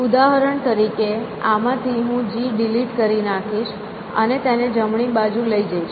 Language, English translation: Gujarati, So, for example from this, I will delete G and take it to the right hand side